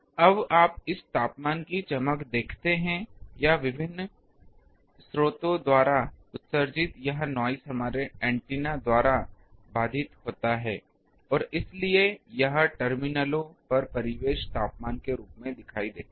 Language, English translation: Hindi, Now, you see the brightness this temperature or this noise emitted by the different sources is intercepted by our antenna, and so it appears at the terminals as a ambient temperature